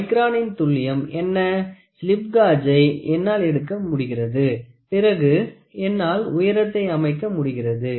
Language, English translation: Tamil, So, what is that to accuracy of micron I am able to get the slip gauges then I am able to builds the height